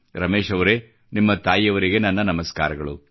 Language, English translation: Kannada, " Ramesh ji , respectful greetings to your mother